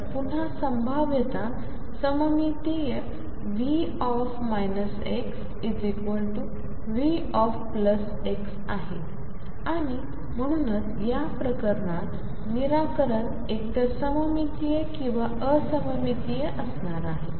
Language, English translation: Marathi, So, again the potential is symmetric V minus x equals V plus x and therefore, the solution is going to be either symmetric or anti symmetric in this case it